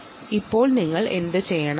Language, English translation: Malayalam, all right, now what you should do